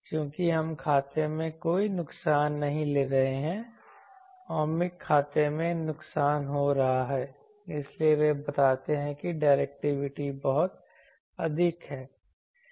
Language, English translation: Hindi, Since, we are not taking any losses into account ohmic losses into account in this, so they show that the directivity is very high